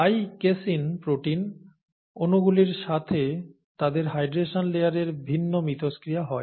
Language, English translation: Bengali, Therefore the casein molecules, the casein protein molecules there have different interactions with their hydration layer